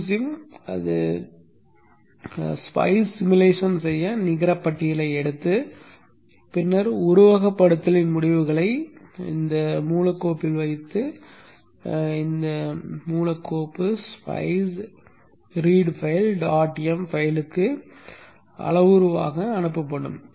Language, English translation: Tamil, Q Sin what it will do is it will take the netlist, do the spice simulation and then put the results of the simulation into a raw file and the raw file is passed as a parameter to the spice a spice read file